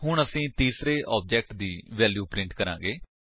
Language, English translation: Punjabi, We will now print the values of the third object